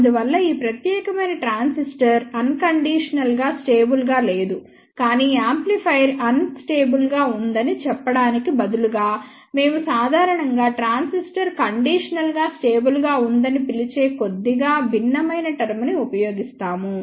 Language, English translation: Telugu, Hence, this particular transistor is not unconditionally stable, but instead of saying amplifier is unstable, we generally use a little different term we call it transistor is conditionally stable